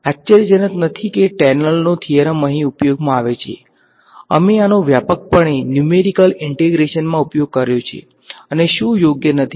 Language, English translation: Gujarati, Not surprisingly the Taylor’s theorem comes of use over here, we have used this extensively in numerical techniques and what not right